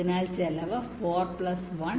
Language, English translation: Malayalam, the cost is four point five